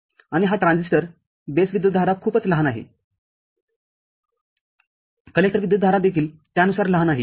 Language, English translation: Marathi, And this transistor, the base current is very small the collector current is also accordingly small